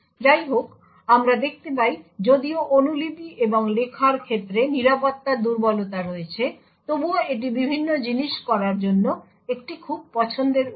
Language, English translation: Bengali, However, as we see even though there are security vulnerabilities with respect to copy and write, it is still a very preferred way for doing things